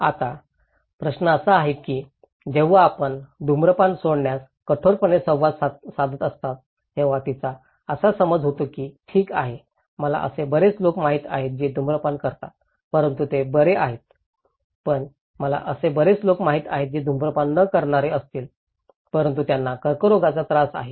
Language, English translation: Marathi, Now, the question is when we are communicating hard to quit smoking, she is under the impression that okay I know many people who are smoking but they are fine but I know many people who are not smoker but they are affected by cancer